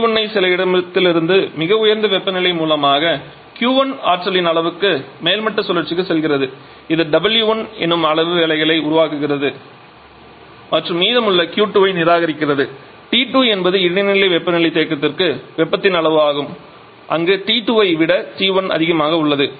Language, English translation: Tamil, So, we are having T 1 as the highest temperature source from where some Q 1 amount of energy is going to you are topping cycle it is producing w 1 amount of work and rejecting the remaining Q 2 amount of heat to an intermediate temperature reservoir which is a temperature T 2 where T 1 is greater than T 2